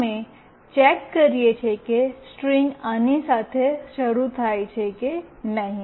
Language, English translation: Gujarati, We are checking if the string starts with this